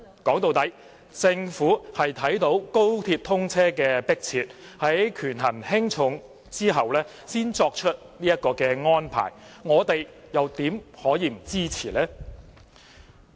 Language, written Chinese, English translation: Cantonese, 說到底，政府是因應高鐵通車的迫切性，在權衡輕重後才作出這項安排，我們又怎能不支持呢？, After all the Government has after weighing the relative importance made such an arrangement due to the urgency of the commissioning of XRL; how can we not support it?